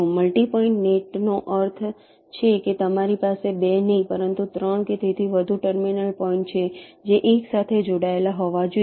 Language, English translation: Gujarati, multi point net means you have not two but three or more terminal points which have to be connected together